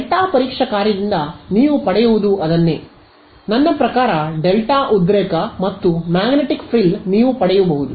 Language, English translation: Kannada, That is what you get with delta testing function, I mean with the delta excitation and with the magnetic frill what you get is